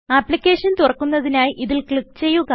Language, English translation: Malayalam, Click on it to open the application